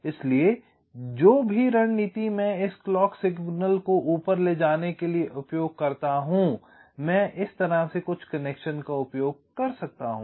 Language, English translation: Hindi, so whatever strategy i use to carry this clock signal up to this say i can use some connections like this